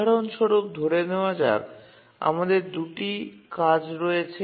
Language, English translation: Bengali, Let's assume that we have two tasks